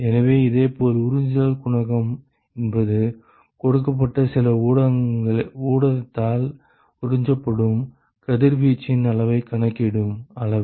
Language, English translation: Tamil, So, similarly absorption coefficient is the quantity, which quantifies the amount of radiation that is absorbed by a given some given medium